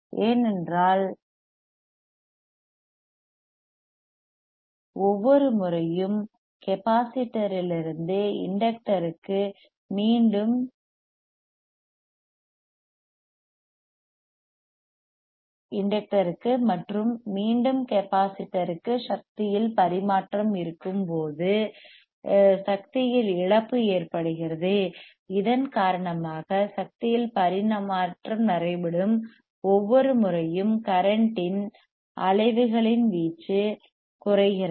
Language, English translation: Tamil, Thisat is why because every time there is when an energy transfer from capacitor to inductor and back from inductor to capacitor, there is a loss of energy,e due to which the amplitude of oscillations of current; amplitude of oscillations of current keeps on decreasesing every time an energy transfer takes place; you see here